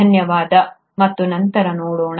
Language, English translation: Kannada, Thank you and see you later